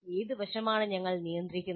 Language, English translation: Malayalam, What aspect are we regulating